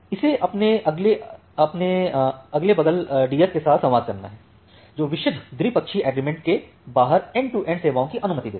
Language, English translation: Hindi, Have to communicate with this the adjacent peers, which allows end to end services to be constructed out of purely bilateral agreement